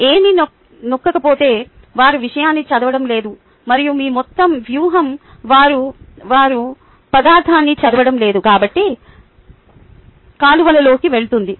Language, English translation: Telugu, if there is nothing pressing, they are not going to read the material and your entire strategy goes down the drain because they are not reading the material